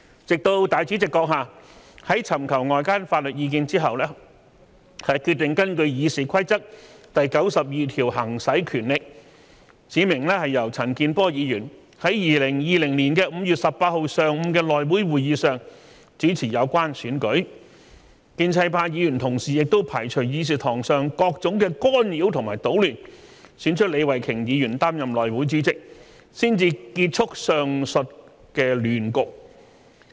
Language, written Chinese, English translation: Cantonese, 直到立法會主席閣下在尋求外間法律意見之後，決定根據《議事規則》第92條行使權力，指明由陳健波議員在2020年5月18日上午的內會會議上主持有關選舉，建制派議員亦排除議事堂上各種干擾和搗亂，選出李慧琼議員擔任內會主席，才結束上述亂局。, The above mentioned chaos could only come to an end after the President of the Legislative Council had sought external legal advice and decided to appoint through exercising his power pursuant to RoP 92 Mr CHAN Kin - por to preside over the House Committee meeting held in the morning of 18 May 2020 for the election concerned in which Ms Starry LEE was finally elected as the Chairman of the House Committee with all sorts of interference and trouble removed by Members of the pro - establishment camp during the meeting